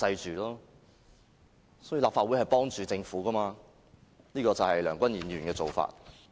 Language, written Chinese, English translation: Cantonese, 其實立法會是袒護政府的，這就是梁君彥議員的做法。, Actually this Legislative Council has been protecting the Government under the order of Mr Andrew LEUNG